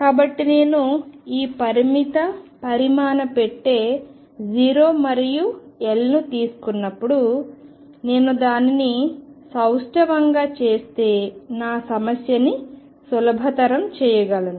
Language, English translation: Telugu, So, when I take this finite size box 0 and L, I can make my life easy if I make it symmetric